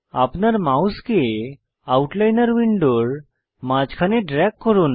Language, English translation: Bengali, Drag your mouse to the middle of the Outliner window